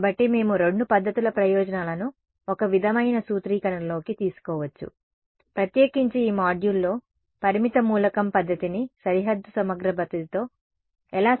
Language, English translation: Telugu, So, that we can take advantages of both methods into one sort of a formulation; in particular this module we are going to see how to integrate finite element method with boundary integral method